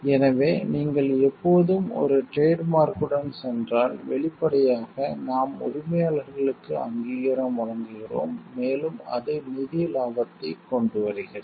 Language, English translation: Tamil, So, if you always go by a trademark then; obviously, we are giving recognition to the owners, and it brings a financial profit today